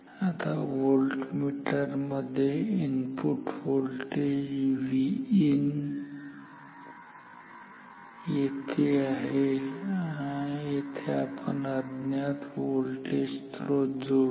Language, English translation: Marathi, So, this is the input voltage where we will connect the unknown source